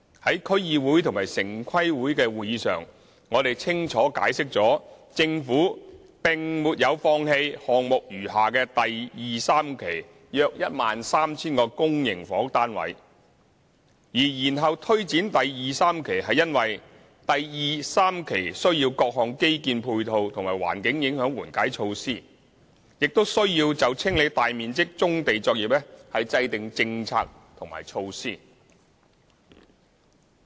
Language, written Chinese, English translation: Cantonese, 在區議會及城市規劃委員會的會議上，我們清楚解釋了政府並沒有放棄項目餘下的第2、3期約 13,000 個公營房屋單位；而延後推展第2、3期是因為第2、3期需要各項基建配套及環境影響緩解措施，亦需要就清理大面積棕地作業制訂政策和措施。, At the meetings of the District Councils and the Town Planning Board we clearly explained that the Government had not given up the remaining 13 000 public housing units in Phases 2 and 3 of the project . The implementation of Phases 2 and 3 has been delayed due to the need for various infrastructure facilities and environmental mitigation measures and the need to formulate policies and measures for clearing large areas of brownfield sites